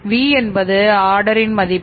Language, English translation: Tamil, V is the value of order